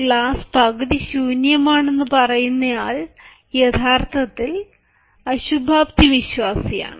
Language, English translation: Malayalam, the one who says the glass is half empty is actually a pessimist